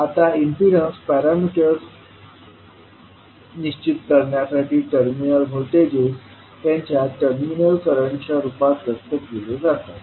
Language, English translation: Marathi, Now, to determine the impedance parameters the terminal voltages are expressed in terms of their terminal current